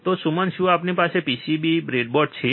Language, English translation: Gujarati, So, Suman do we have the PCB, breadboard